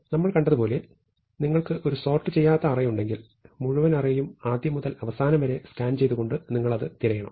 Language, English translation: Malayalam, As we have seen, if you have an unsorted array, you have to search for it by scanning the entire array from beginning to end